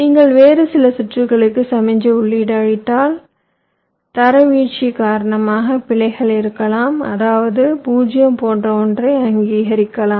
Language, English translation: Tamil, the signal if you just feeding to some other circuits, because of degradation there can be errors, means a one might be recognize as a zero, something like that